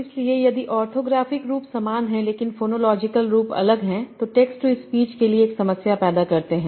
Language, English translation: Hindi, So if the orthographic form is same, but the phonological forms are different, that creates a problem for text speech